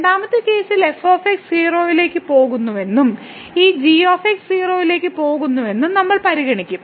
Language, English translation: Malayalam, In the 2nd case we will consider that goes to 0 and this goes to 0